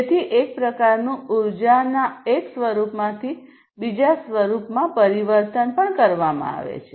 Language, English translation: Gujarati, So, one form of energy is transformed to another form of energy